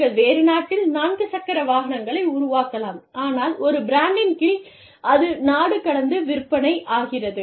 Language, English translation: Tamil, You could be making, four wheelers, in a different country, but, under the same brand